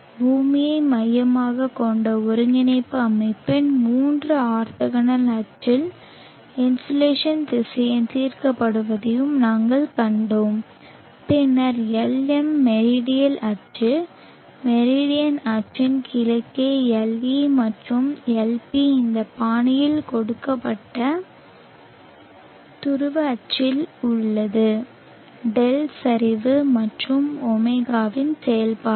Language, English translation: Tamil, We have also seen the insulation vector being resolved along three orthogonal axis of the earth centric coordinate system and then we have the Lm along the meridional axis, Le along the east of the meridian axis and Lp along the polar axis given in this fashion has a function of d declination and